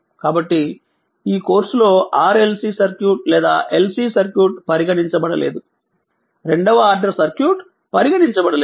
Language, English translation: Telugu, So, in this course we will not consider RLC circuit or LC circuit; that is second order circuit we will not consider